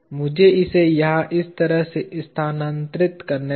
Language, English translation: Hindi, Let me just move it over here like this